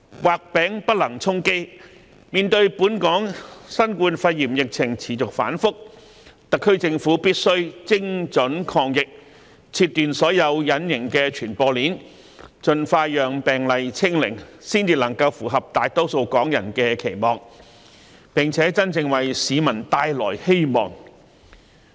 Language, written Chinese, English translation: Cantonese, 畫餅不能充飢，面對本港新冠肺炎疫情持續反覆，特區政府必須精準抗疫，切斷所有隱形傳播鏈，盡快令病毒"清零"，才能符合大多數港人的期望，並真正為市民帶來希望。, Given the volatile COVID - 19 epidemic situation in Hong Kong the SAR Government must fight the epidemic with precision break all invisible transmission chains and achieve zero infection as early as possible . Only by doing so can the Government meet the aspirations of most Hong Kong people and bring genuine hope to the general public